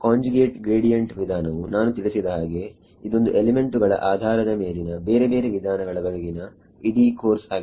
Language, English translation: Kannada, Conjugate gradient methods as I mentioned this is whole course in itself of different methods depending on the elements